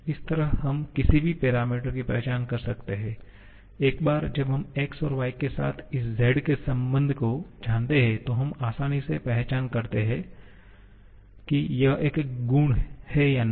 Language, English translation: Hindi, This way we can identify any parameter once we know the relation of this Z with x and y, then we can easily identify it is a property or not